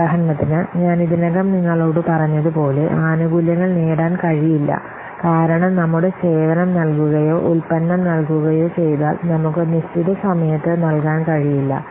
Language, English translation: Malayalam, So, for example, as I have already told you, we are not able to what, get the benefit because our service we are providing or the product we are providing, we are not able to provide in the designated time